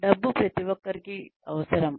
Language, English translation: Telugu, Money, of course, everybody requires money